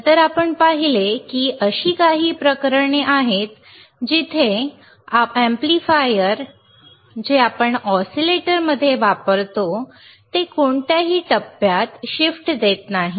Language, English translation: Marathi, Then we have seen that there are some cases where your amplifier that we use in the oscillator will not give you any phase shift